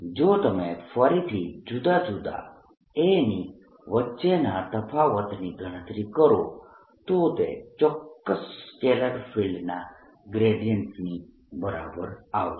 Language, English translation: Gujarati, if you calculate the difference between the different a's again, that come out to be equal to gradient of certain scalar field